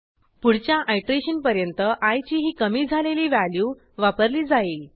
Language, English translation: Marathi, i will adopt this decremented value before the next iteration